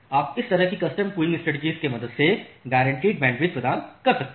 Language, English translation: Hindi, So, that way this custom queuing mechanism it supports what we call as the guaranteed bandwidth